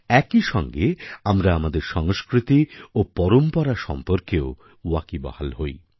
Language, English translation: Bengali, At the same time, we also come to know about our culture and traditions